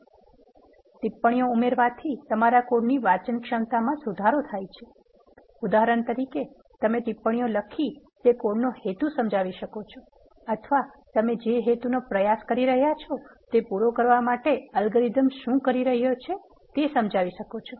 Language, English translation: Gujarati, Adding comments improve the readability of your code for example, you can explain the purpose of the code you are writing in the comments or you can explain what an algorithm is doing to accomplish the purpose which you are attempting at